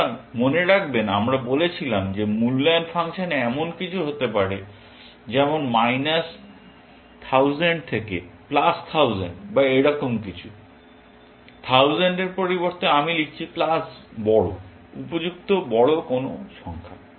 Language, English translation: Bengali, So, remember, we had said that the evaluation function can be something, like in a range of minus 1000 to plus 1000 or something like that; instead of 1000, I am writing plus large, some suitably large number